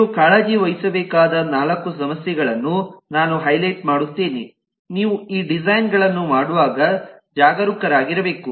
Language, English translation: Kannada, i will highlight the four issues that need to be, you need to take care of, you need to be careful about when you do these designs